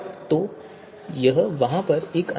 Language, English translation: Hindi, So that is one difference over there